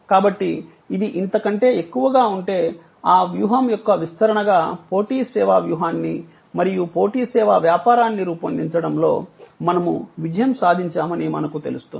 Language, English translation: Telugu, So, if this is higher than this, then we know that we have succeeded in creating a competitive service strategy and competitive service business as a deployment of that strategy